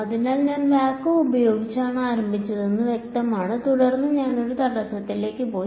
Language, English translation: Malayalam, So, far it is clear I started with vacuum, then I went to an obstacle